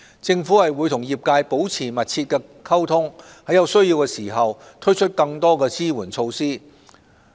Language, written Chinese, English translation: Cantonese, 政府會和業界保持密切溝通，在有需要時推出更多支援措施。, The Government will maintain close communication with the trade and introduce further support measures if necessary